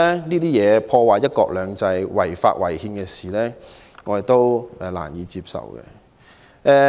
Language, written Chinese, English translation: Cantonese, 這些破壞"一國兩制"、違法違憲的事情，我們都難以接受。, We can hardly accept such unconstitutional and illegal acts that jeopardize one country two systems